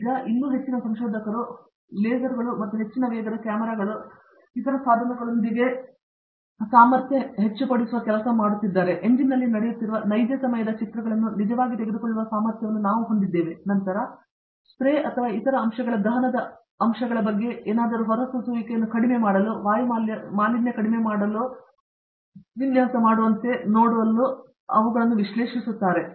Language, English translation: Kannada, Now, further more there are also researchers who are now, who now have the capability with lasers and high speed cameras and other devices and we now have the capability to actually take real time pictures of what is going on in an engine, then analyzing them to see whether something about the spray or other aspects combustion aspects can be optimized to mere to reduce a emission